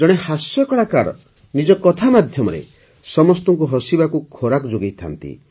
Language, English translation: Odia, A comedian, with his words, compelles everyone to laugh